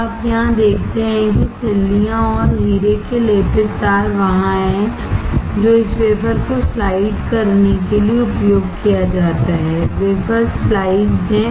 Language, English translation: Hindi, Now, you see here the ingots and diamond coated wires is there, which is used to slide this wafer, wafers are sliced